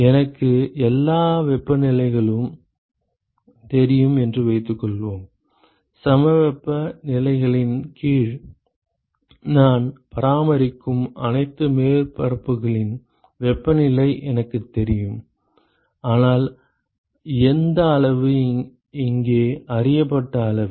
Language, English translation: Tamil, Suppose I know all the temperatures, suppose I know the temperature of all the surfaces I maintain under isothermal conditions so which quantity is a known quantity here